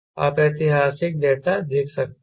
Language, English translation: Hindi, you can see historical data